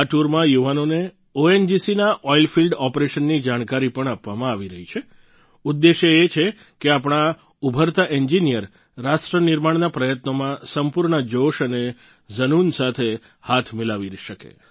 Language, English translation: Gujarati, In these tours, youth are being imparted knowledge on ONGC's Oil Field Operations…with the objective that our budding engineers be able to contribute their bit to nation building efforts with full zest and fervor